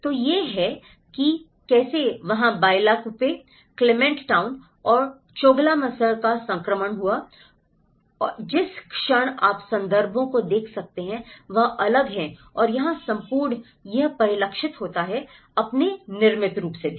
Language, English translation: Hindi, So, this is how there has been a transition of Bylakuppe, Clement town and Choglamsar, so what you can see in the moment the context is different and here, the whole it is reflected from its built form as well